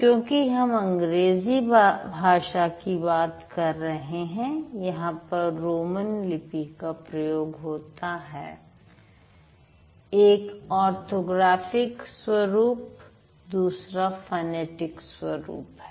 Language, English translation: Hindi, But since we are talking about English which uses Roman script, so one is the orthographic form, the other one is the phonetic form